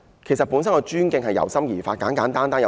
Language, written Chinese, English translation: Cantonese, 其實，尊敬應由心而發。, In fact such respect should come from ones heart